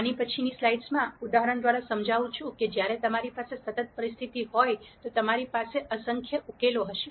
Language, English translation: Gujarati, I will explain this through an example in later slides when you have a con sistent situation, then you will have in nite number of solutions